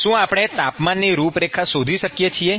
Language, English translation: Gujarati, Can we find the temperature profile